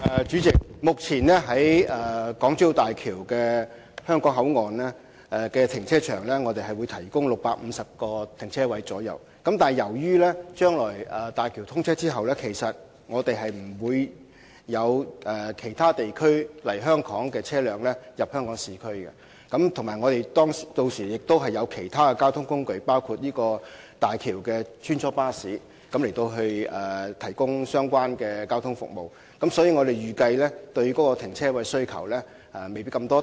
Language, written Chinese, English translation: Cantonese, 主席，位於港珠澳大橋香港口岸的停車場將會提供約650個停車位，但由於大橋通車後不會有車輛從其他地方來港並且駛進市區，而且屆時亦會有其他交通工具，包括行走大橋的穿梭巴士，提供有關的交通服務，所以，我們預計市民對停車位的需求未必那麼大。, President the car park situated in HKBCF of HZMB will provide approximately 650 parking spaces . Since no vehicles will enter Hong Kong from other places to reach the urban areas after the commissioning of HZMB coupled with the availability of other means of transport such as shuttle buses serving HZMB to provide relevant transport services we expect that the publics needs for parking spaces are not expected to be so keen